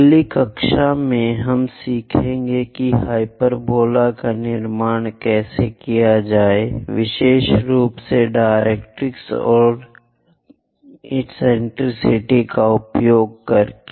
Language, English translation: Hindi, In the next class we will learn about how to construct hyperbola, especially using directrix and eccentricity